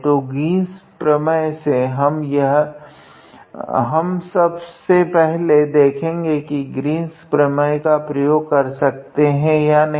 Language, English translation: Hindi, So, by Green’s theorem we know that now we will see first whether the Green’s theorem is applicable or not